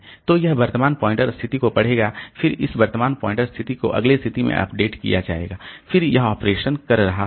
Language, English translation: Hindi, So, it will read the current pointer position then this current pointer position will be updated to the next position